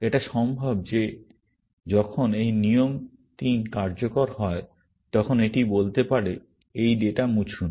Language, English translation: Bengali, It is possible that when this rule 3 executes, it may say, delete this data